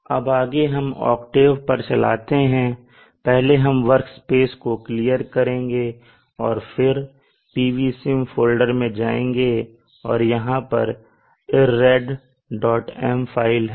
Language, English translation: Hindi, Now next we go to octave we will open octave I will clear up the octave workspace screen and then go to the PVSIM folder and that is where the IRRED